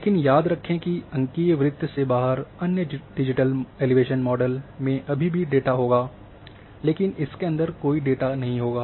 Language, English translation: Hindi, But remember that the other out of the circle you digital elevation model is still will have data, but it will be has a no data